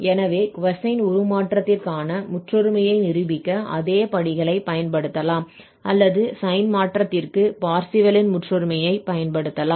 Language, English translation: Tamil, So, this is how we have proved this identity, which is for cosine transform whether similar steps we can use for proving the identity or the Parseval's identity for the sine transform